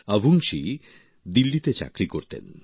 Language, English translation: Bengali, Avungshee had a job in Delhi